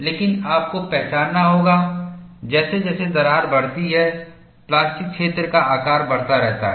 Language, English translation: Hindi, But you have to recognize, as the crack grows, the plastic zone sizes keeps increasing, and also formation of plastic wake